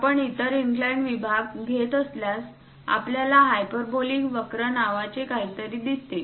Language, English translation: Marathi, If we are picking other inclined section, we see something named hyperbolic curves